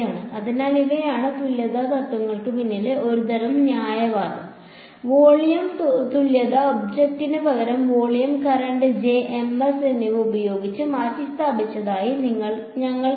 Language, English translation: Malayalam, So, these are these this is the sort of reasoning behind equivalence principles, the volume equivalence we saw that the object was replaced by volume current J and Ms we saw